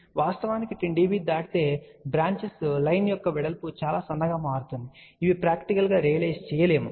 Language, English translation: Telugu, Actually speaking beyond 10 dB the line width of the branches line will become very very thin which are not practically realizable